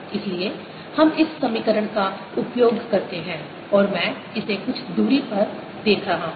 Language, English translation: Hindi, so we use this equation and i am observing it at some distance l